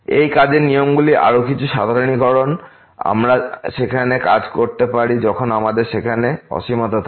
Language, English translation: Bengali, Some more generalization of these working rules, we can also work when we have infinities there